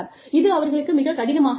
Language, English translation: Tamil, So, it becomes a difficult thing for them